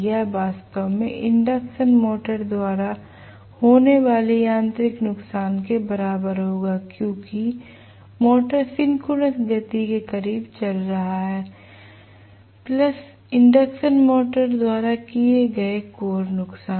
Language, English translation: Hindi, This will be actually equal to the mechanical losses incurred by the induction motor because the motor is running close to the synchronous speed plus the core losses incurred by the induction motor